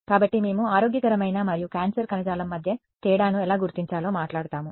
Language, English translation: Telugu, So, we will talk about how we will distinguish between healthy and cancerous tissue